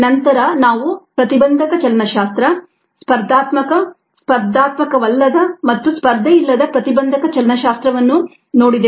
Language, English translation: Kannada, then we also looked at ah innovation kinetics: the competitive, non competitive and the uncompetitive innovation kinetics